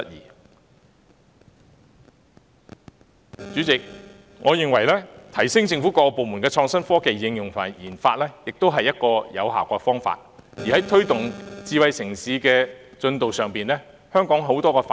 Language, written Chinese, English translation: Cantonese, 因此，主席，我認為提升政府各個部門的創新科技應用和研發，也是一個有效提高政府辦事效率的方法。, Hence President I think that enhancing the capability of the various government departments in the application and RD of innovative technologies is also an effective way to enhance government efficiency